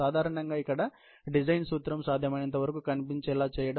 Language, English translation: Telugu, Typically, the principle of design here, is to make it as visible as possible